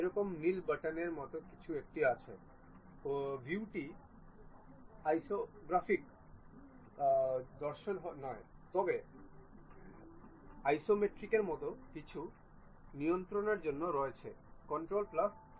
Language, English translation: Bengali, There is something like a blue button not the views orthographic views, but there is something like isometric with control plus 7